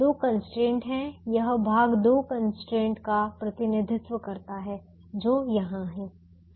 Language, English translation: Hindi, this portion represents the two constraints which are here